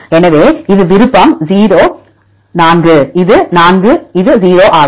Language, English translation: Tamil, So, this is the option is 4 this is 0